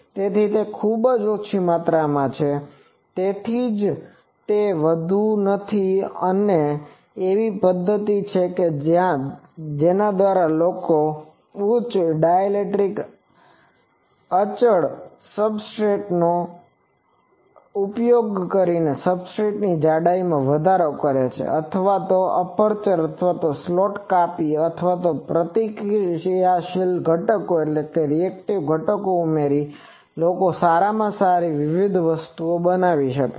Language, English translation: Gujarati, So, it is a very small amount, so that is why it is not much and there are methods by which people use using higher dielectric constant substrate or increasing the thickness of the a substrate or cutting holes or slots into the or adding reactive components etc